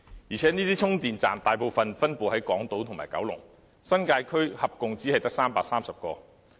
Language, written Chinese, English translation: Cantonese, 而且這些充電站大部分分布在港島和九龍，新界區合共只有330個。, Besides these charging stations are mostly scattered over the Hong Kong Island and Kowloon while there are only 330 stations in the New Territories